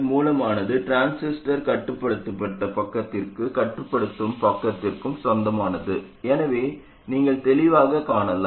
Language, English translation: Tamil, And you can clearly see that the source belongs to the controlled side as well as the controlling side of the transistor